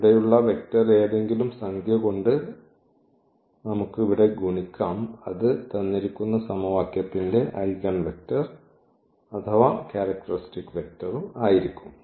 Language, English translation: Malayalam, So, we can multiply by any number here that will be the characteristic a vector here or the eigenvector of the given equation